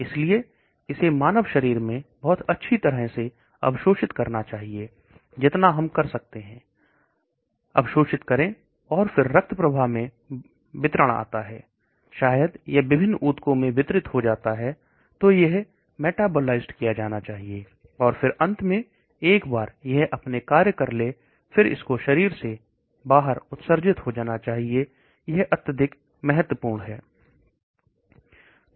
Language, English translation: Hindi, So it should get absorbed very nicely into the human system, absorb as we can say, and then comes distribution into the bloodstream, maybe it gets distributed into the various tissues, then it should it be getting metabolized, and then finally once it has done its job it should get excreted that is also very important